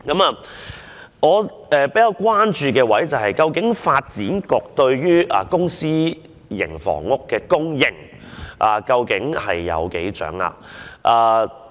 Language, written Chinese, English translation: Cantonese, 我比較關注的是，究竟發展局對公私營房屋的供應情況有多大掌握？, An issue of greater concern to me is that how much does the Development Bureau know about the supply of public and private housing?